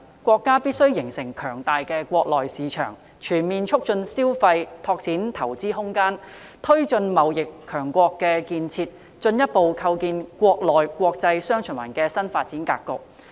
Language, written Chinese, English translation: Cantonese, 國家必須形成強大的國內市場、全面促進消費、拓展投資空間、推進貿易強國建設，以及進一步構建"國內國際雙循環"的新發展格局。, China must develop a strong domestic market comprehensively promote consumption open up room for investment drive the development of facilities of a trading superpower and further develop the new development pattern of dual circulation of the domestic and foreign markets